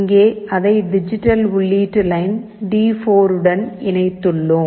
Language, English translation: Tamil, Here, we have connected it to the digital input line D4